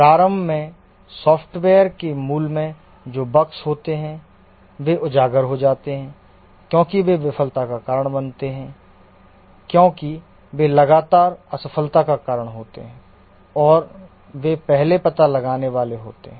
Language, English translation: Hindi, Initially, the bugs that are there on the core of the software get exposed, they cause failure because those are the ones which cause frequent failures and they are the ones to get detected first